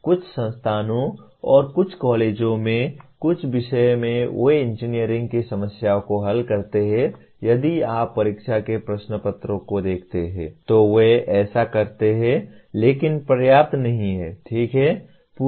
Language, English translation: Hindi, Some institutions and some colleges in some subjects they do pose engineering problems in the if you look at the examination papers, they do so but not adequate, okay